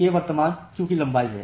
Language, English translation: Hindi, So, k is the current queue length